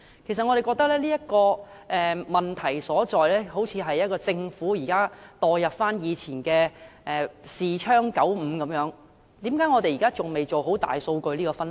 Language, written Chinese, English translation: Cantonese, 其實我們認為，這問題所在，就是政府現行做法落後，彷似仍在使用以前的視窗95般，為甚麼我們現時仍未能做好大數據分析？, In fact in our view the problem lies in the existing outdated practice of the Government as though it is still using the obsolete Windows 95 . Why are we still unable to make good use of big data for conducting analyses now?